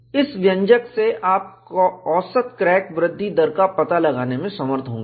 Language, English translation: Hindi, From this expression, you would be able to get the average crack growth rate